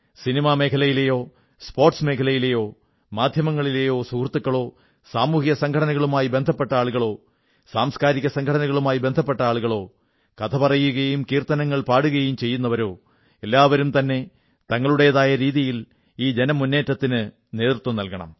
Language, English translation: Malayalam, Whether it be from the world of films, sports, our friends in the media, people belonging to social organizations, people associated with cultural organizations or people involved in conducting devotional congregations such as Katha Kirtan, everyone should lead this movement in their own fashion